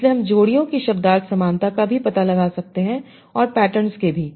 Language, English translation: Hindi, So, I can find a semantic similarity of the pairs also the patterns